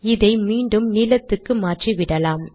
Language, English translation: Tamil, So let me just put this back to blue